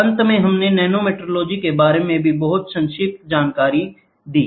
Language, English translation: Hindi, And finally, we saw a very brief about nanometrology also